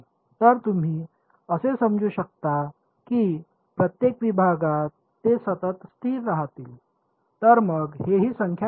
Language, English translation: Marathi, So, you can assume them to be piecewise constant in each segment so, then these guys also just become numbers